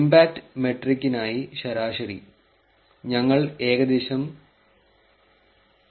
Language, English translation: Malayalam, On an average for the impact metric, we achieve approximately 0